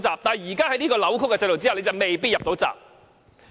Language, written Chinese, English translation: Cantonese, 但是，在現時這個扭曲的制度下，你卻未必"入到閘"。, However under the distorted system at the present time you will not necessary get the nomination